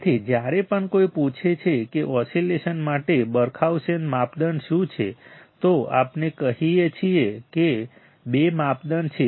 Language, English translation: Gujarati, So, whenever somebody asks what are the Barkhausen criterion for oscillations, we can say that there are two criterias